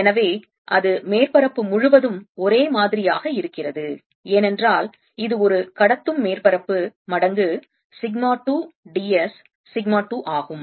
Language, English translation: Tamil, so, and that's the same all over the surface because it's a conducting surface times: sigma two, d s, sigma two